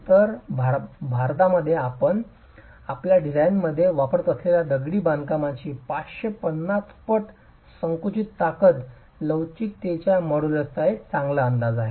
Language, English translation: Marathi, So, 550 times the compressive strength of masonry that you are adopting in your design is a good estimate of the modulus of elasticity